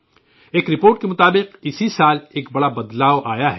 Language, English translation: Urdu, According to a report, a big change has come this year